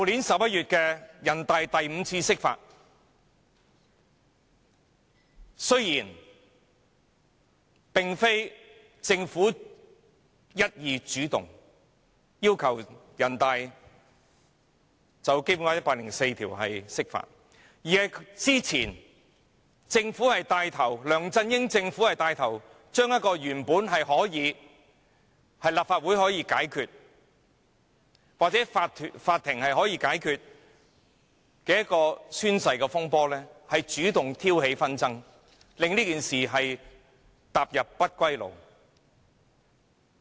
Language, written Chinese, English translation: Cantonese, 雖然這次並非政府一意主動要求人大常委會就《基本法》第一百零四條釋法，但梁振英政府之前牽頭藉着原本可由立法會或法庭解決的宣誓風波主動挑起紛爭，令這件事踏上不歸路。, Though the interpretation of Article 104 of the Basic Law was not initiated by the Government this time around the Government led by LEUNG Chun - ying had taken the lead to provoke disputes in the oath - taking controversy which could have been resolved by the Legislative Council or the Court bringing the incident to a path of no return